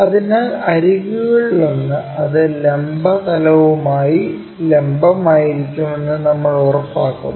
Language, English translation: Malayalam, So, the edge, one of the edge, we make sure that it will be perpendicular to vertical plane